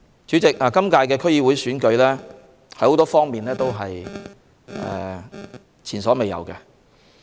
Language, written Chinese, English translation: Cantonese, 主席，今屆區議會選舉有很多方面是前所未有的。, President this DC Election is unprecedented in several aspects